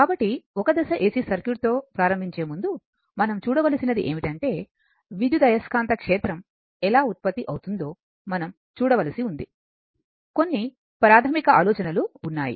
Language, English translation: Telugu, So, before starting with a Single Phase AC Circuit what we have to see is that, you we have to your what you call see that how EMF is generated, little some basic ideas